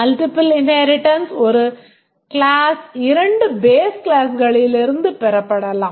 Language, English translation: Tamil, We can have multiple inheritance in which a class may inherit from two base classes